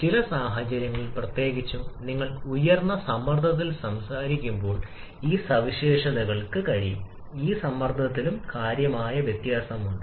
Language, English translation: Malayalam, But certain situations particularly when you are talking on very high pressure these properties can significantly vary with the pressure as well